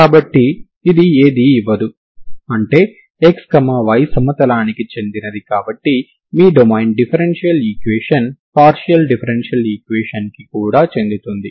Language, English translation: Telugu, So it nothing is given that means X Y belongs to the plane so that is your domain of the differential equation, partial differential equation